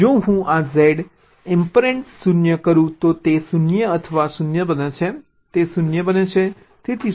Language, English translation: Gujarati, why if i do this, z ampersand zero, it become zero or zero, it becomes zero